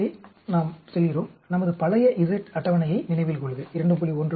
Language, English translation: Tamil, So we go to; remember our old z table 2